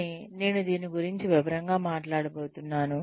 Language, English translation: Telugu, But, I am going to talk about this in detail